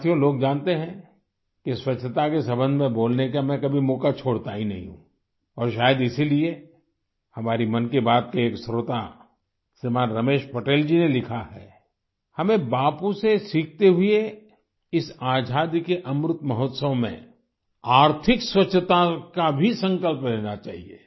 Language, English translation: Hindi, people know that I don't ever let go any chance to speak in connection with cleanliness and possibly that is why a listener of 'Mann Ki Baat', Shriman Ramesh Patel ji has written to me that learning from Bapu, in this "Amrit Mahotsav" of freedom, we should take the resolve of economic cleanliness too